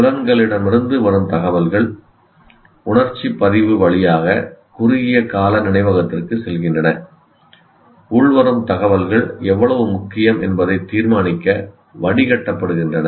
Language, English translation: Tamil, So, information from the census passes through the sensory register to short term memory after the incoming information is filtered to determine how important it is